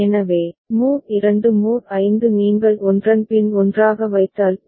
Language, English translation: Tamil, So, mod 2 mod 5 if you put one after another then you get BCD counter